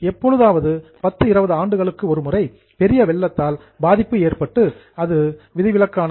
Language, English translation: Tamil, If there is a major flood which might occur somewhere in 10, 20 years once, then it is exceptional